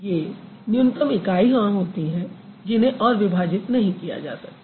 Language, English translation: Hindi, They are the minimal units, you can't break it